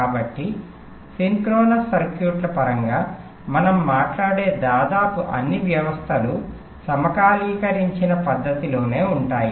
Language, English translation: Telugu, so almost all the systems that we talk about in terms of synchronise circuits are synchronise in nature